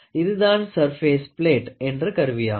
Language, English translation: Tamil, So, this is an instrument which is called surface plate